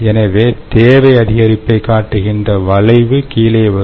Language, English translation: Tamil, so the demand curve will come down